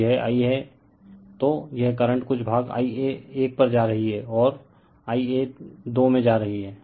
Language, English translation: Hindi, So, this I a then , this current is, , some part is going to I a 1 and going to I a 2